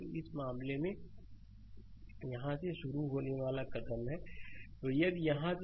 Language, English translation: Hindi, So, in this case it will be move starting from here